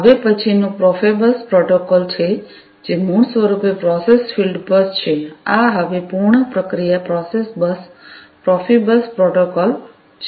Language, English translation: Gujarati, The next one is the Profibus protocol, which is basically the process field bus; this is the full form the process field bus Profibus protocol we are going to go through now